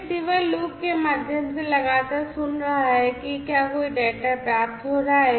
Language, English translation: Hindi, This receiver is listening continuously through a loop to see if there is any you know any data being received